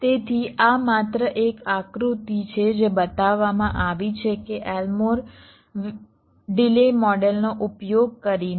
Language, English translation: Gujarati, so this is just a diagram which is shown that using elmore delay model